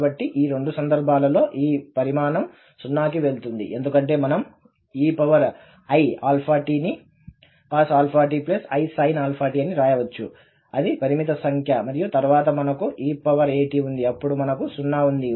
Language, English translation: Telugu, So, in both the cases, this quantity will go to 0 because this e power i alpha t we can write as cos alpha t plus i sin alpha t which is a finite number and then we have e power a t, then we will have this as 0